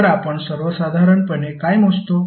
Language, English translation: Marathi, So, what we measure in general